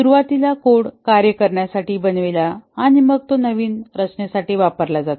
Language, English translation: Marathi, Initially the code is made to work and then it is restructured